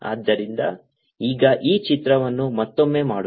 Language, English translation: Kannada, so let's now make this picture again